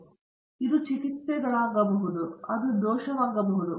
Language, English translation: Kannada, So, it can be treatments, and then, it can be the error